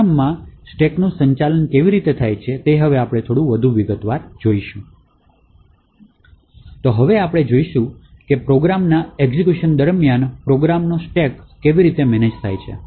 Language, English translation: Gujarati, So now we will see how the stack of a program is managed during the execution of the program